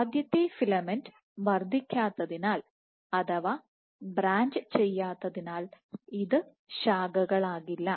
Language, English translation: Malayalam, So, because the first filament itself would not increase would not branch